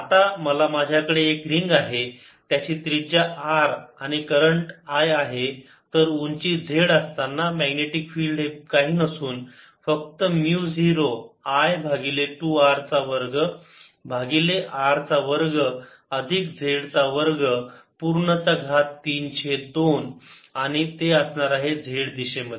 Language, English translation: Marathi, now i know, if i have a ring of radius r with current i, then at height z the magnetic field due to this is nothing but mu zero i over two r square over r square plus z square raise to three by two and it's in the z direction